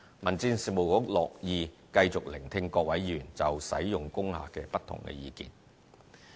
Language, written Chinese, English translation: Cantonese, 民政事務局樂意繼續聆聽各位議員就使用工廈的不同意見。, The Bureau will be pleased to continue listening to Members views on the use of industrial buildings